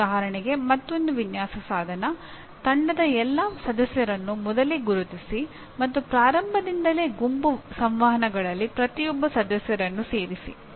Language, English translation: Kannada, For example another design instrumentality, still of a different quality, identify all members of the team early on and include every member in the group communications from the outset